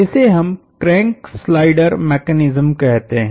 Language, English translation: Hindi, This is what we will call crank slider mechanism